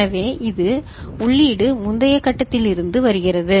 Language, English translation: Tamil, So, in this, the input is coming from the previous stage